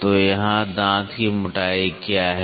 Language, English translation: Hindi, So, what is tooth thickness here